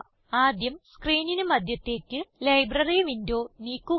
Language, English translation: Malayalam, * First, lets move the Library window to the centre of the screen